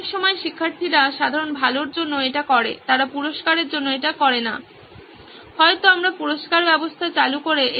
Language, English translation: Bengali, Lots of times student do it for general good, they do not do it because they need a reward, maybe we’re complicating this system by introducing the reward system